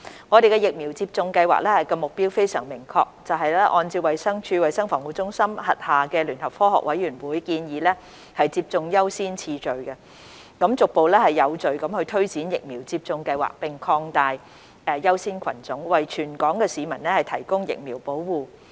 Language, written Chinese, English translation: Cantonese, 我們的疫苗接種計劃目標非常明確，就是按照衞生署衞生防護中心轄下聯合科學委員會建議的接種優先次序，逐步有序推展疫苗接種計劃並擴大優先群組，為全港市民提供疫苗保護。, The goal of our vaccination programme is very clear which is to implement the vaccination programme in a progressive and orderly manner and expand the priority groups to provide vaccine protection to all people in Hong Kong having regard to the proposed framework on priority of vaccination by the Joint Scientific Committees under the Centre for Health Protection of the Department of Health DH